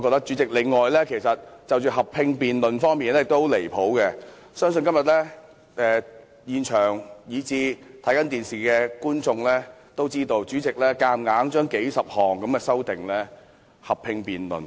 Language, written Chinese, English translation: Cantonese, 此外，我認為合併辯論的安排十分離譜，相信今天現場和正在收看電視的市民都看到，主席強行將數十項修訂合併辯論。, Furthermore I find the arrangements for a joint debate most ridiculous . I believe people who are present here as well as television viewers can see that the President has forcibly subjected the dozens of amendments to a joint debate